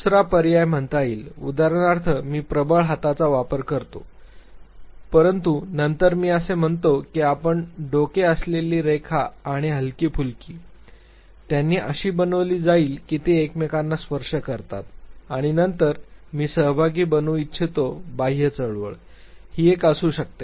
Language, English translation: Marathi, The second option could be say for instance I use the dominant hand, but then I say that the arrow headed line and the feather headed, line they will be made to be like this they touch each other and then I want the participant to make an outward movement, this could be one